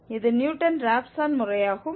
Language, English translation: Tamil, This is exactly the Newton Raphson method